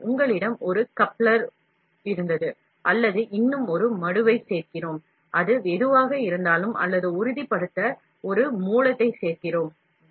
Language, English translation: Tamil, So, we had a coupler, or we add one more sink, whatever it is, or we add one more source, to make sure